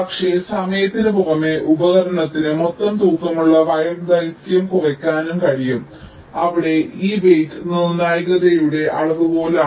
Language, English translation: Malayalam, the tool can also minimize the total weighted wire length, where this weight will be a measure of the criticality